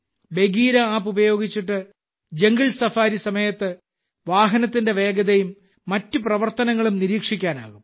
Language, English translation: Malayalam, With the Bagheera App, the speed of the vehicle and other activities can be monitored during a jungle safari